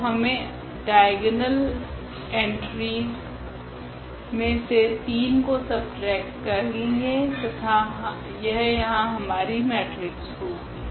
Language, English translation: Hindi, So, we have to subtract this 3 from the diagonal entries and that will be our matrix here